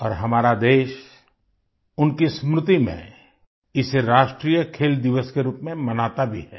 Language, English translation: Hindi, And our country celebrates it as National Sports Day, in commemoration